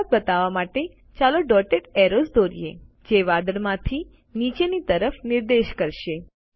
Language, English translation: Gujarati, To show rain, lets draw dotted arrows, which point downward from the cloud